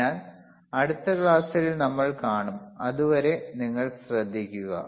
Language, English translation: Malayalam, So, I will see in the next class till then you take care, bye